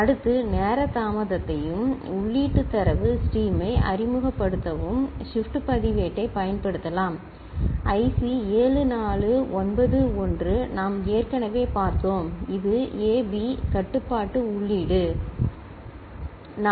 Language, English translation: Tamil, Next we can use shift register to introduce time delay and the input data stream somewhere here IC 7491, we have already seen, this is A, B is the control input, ok